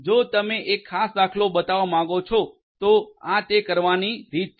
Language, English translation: Gujarati, If you want to show a particular instance this is the way to do it